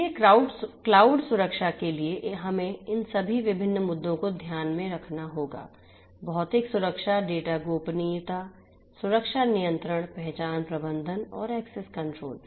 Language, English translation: Hindi, So, for cloud security then we have all these different issues that will have to be taken into consideration, the physical security, data privacy security controls, identity management and access control